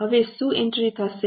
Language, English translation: Gujarati, Now what will be the entry